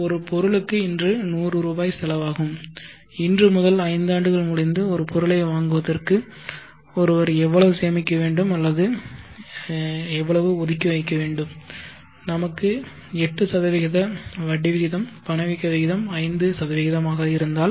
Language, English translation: Tamil, Let me take a simple example let us say an item costs through this 100 today, and in order to buy the item five years from today how much should one sale or set aside today if I is 8% interest rate is 8 percent and inflation rate is 5%